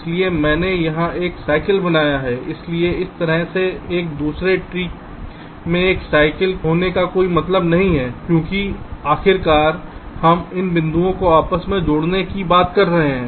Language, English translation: Hindi, so there is no point in have a cycle in such an interconnection tree, because ultimately, we are talking about interconnecting these points